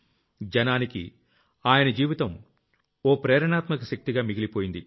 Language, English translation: Telugu, His life remains an inspirational force for the people